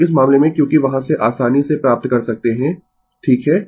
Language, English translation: Hindi, So, in this case your because from there you can easily find out right